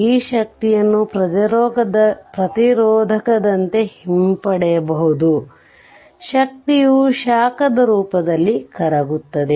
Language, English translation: Kannada, This energy can be retrieved like resistor the energy is dissipated in the form of heat